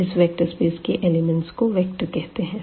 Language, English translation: Hindi, So, this vector space is a set V of elements and called vectors